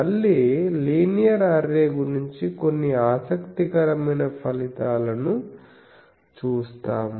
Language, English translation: Telugu, Now, we will again go back to the linear array, and we will see some interesting results